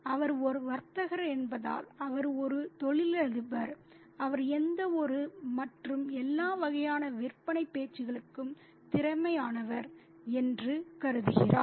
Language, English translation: Tamil, And just because he is a trader, he is a businessman, he thinks that he is capable of any and every kind of sales talk possible